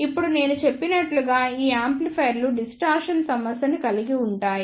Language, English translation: Telugu, Now, as I mentioned these amplifiers suffers from the distortion